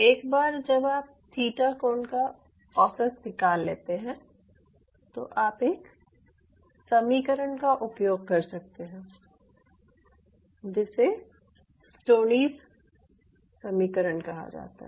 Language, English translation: Hindi, once you average out the theta angle, you can use an equation which is called stoneys equation